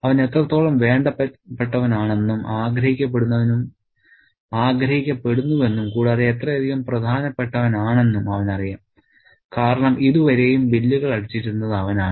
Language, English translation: Malayalam, He knows how much wanted and desired and important he is because he is the one who does the bills at the till